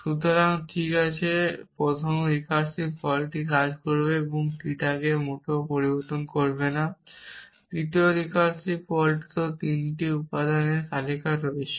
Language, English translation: Bengali, So, that is fine so the first recursive call will work and it will not change theta at all the second recursive call has list of 3 elements and this also as a list of 3 elements